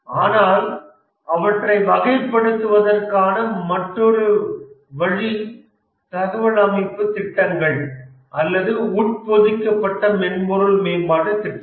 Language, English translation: Tamil, But another way of classifying them may be information system projects or embedded software development projects